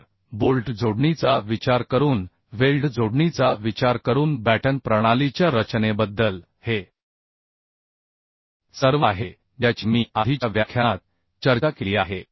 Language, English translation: Marathi, So this is all about the design of batten system considering weld connection considering bolt connection which I have discussed in earlier lecture